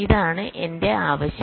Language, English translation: Malayalam, this is the idea